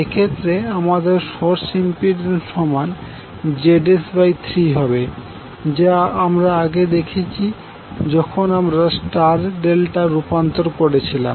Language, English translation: Bengali, In that case your source impedance will be become Zs by 3 as we have already seen when we were doing the star delta transformation